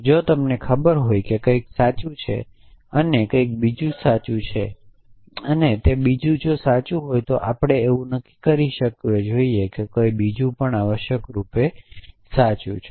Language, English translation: Gujarati, If you know something is true and something else in true and something else is true we should be able to infer that something else is true essentially